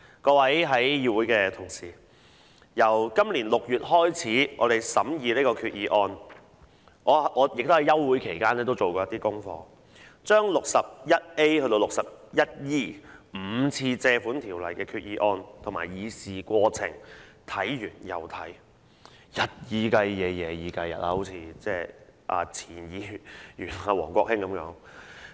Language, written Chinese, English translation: Cantonese, 各位議會裏的同事，我們由今年6月開始審議這項決議案，我在休會期間也做過功課，把第 61A 章至第 61E 章5次根據《借款條例》提出的決議案和議事過程看完又看，日以繼夜、夜以繼日的看，好像前議員王國興一樣。, Honourable colleagues in the Council the scrutiny of this Resolution commenced in June this year . I did my homework during the summer recess . I have read the five Resolutions proposed under the Loans Ordinance and their proceedings again and again day and night just like former Member Mr WONG Kwok - hing